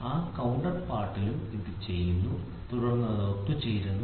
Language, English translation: Malayalam, So, in that counterpart same is also done then it gets assembled